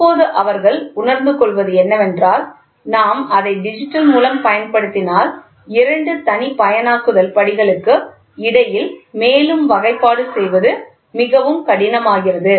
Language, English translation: Tamil, And now what they realize is if we use it by digital, further classification between the two discretization steps becomes very difficult